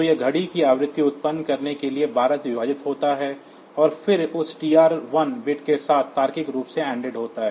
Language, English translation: Hindi, So, it is divided by 12 to generate the clock frequency and then that is logically anded with that TR1 bit